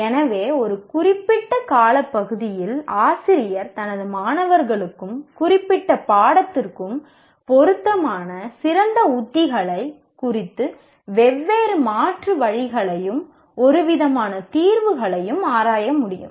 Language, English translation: Tamil, So the teacher over a period of time should be able to explore different alternatives and kind of settle on the best strategy that is suited for his students and for the particular subject